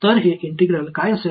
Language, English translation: Marathi, So, what will this integral be